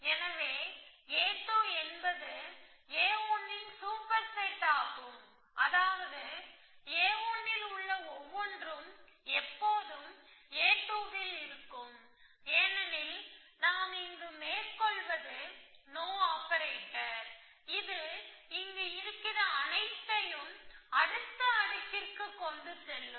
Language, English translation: Tamil, So, a 2 is a superset of a 1 everything which is there in a 1 will always be there in a 2, why because we are just no op operations which a carrying forward everything which was here, which made this, all these action possible